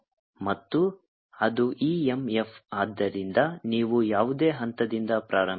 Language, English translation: Kannada, actually i am that e m f to you start from any point